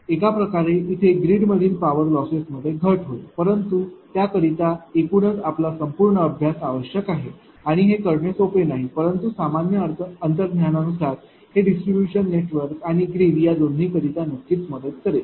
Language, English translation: Marathi, So, in other way there will be reduction in the power loss in the grid, but that is a total your completes ah studies required for that and it is not easy to do that, but from general intuition it helps actually both distribution network of course, at the same time it grids right